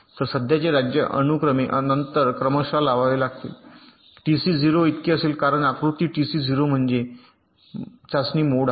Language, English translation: Marathi, so the present state has to be applied serially after setting ah, this should be t c equals to zero, because in diagram t c zero means test mode